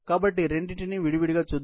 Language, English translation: Telugu, So, let us look at both, separately